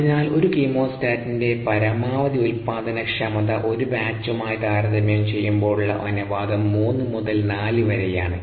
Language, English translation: Malayalam, therefore, the ratio of the maximum productivities of a chemostat to that of a batch is three to four